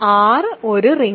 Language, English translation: Malayalam, R is a ring